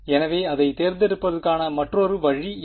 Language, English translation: Tamil, So, what might be another way of picking it